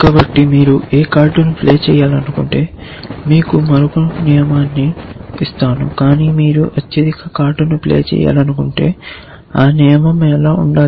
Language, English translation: Telugu, So, let me give you another rule just to so if you want to not play any card, but you want to play the highest card essentially then what should the rule look like